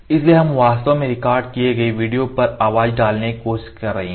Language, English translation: Hindi, So, we actually trying to put the voice over the recorded video